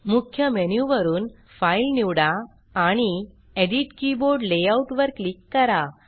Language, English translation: Marathi, From the Main menu, select File, and click Edit Keyboard Layout